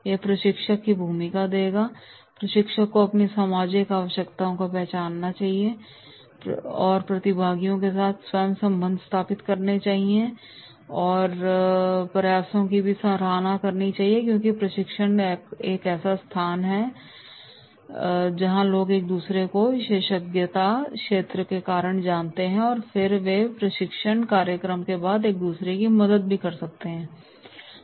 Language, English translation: Hindi, Role of a trainer is, trainer must recognise their social needs and even appreciate their efforts to establish healthy relationship with the participants because training is a place where people know each other of the same expertise area and then they can help each other after the training program also